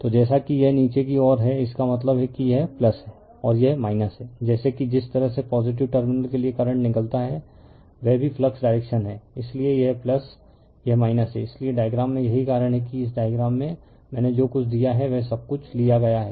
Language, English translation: Hindi, So, as it is downward means this is plus and this is minus, as if the way current comes out for the positive terminal here also the flux direction that is why this is plus this is minus that is why, that is why in the diagram that is why in this diagram, you are taken this one everything I have given to you